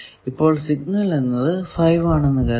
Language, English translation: Malayalam, So, suppose some signal value is 5